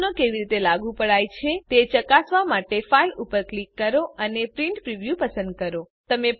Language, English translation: Gujarati, To check how the settings have been applied, click File and select Print Preview